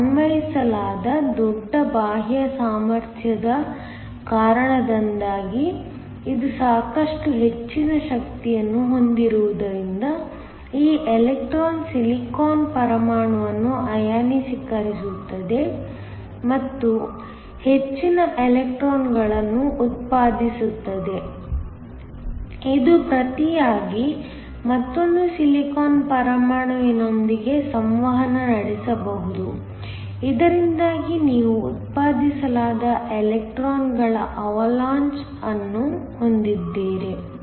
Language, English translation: Kannada, And, because it has sufficient high energy because of the large external potential that is applied, that electron can ionize the silicon atom and produce more electrons, this in turn can interact with another Silicon atom so that, you have an Avalanche of electrons that are produced